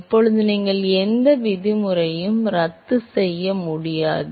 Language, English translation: Tamil, Now, you can not cancel out any terms